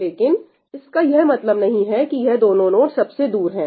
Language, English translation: Hindi, But that does not mean that these are the furthest nodes